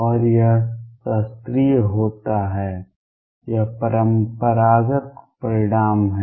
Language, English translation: Hindi, And this happens classical, this is a classical result